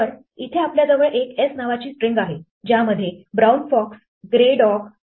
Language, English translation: Marathi, So, we have a string here s which contains the word "brown fox grey dog brown fox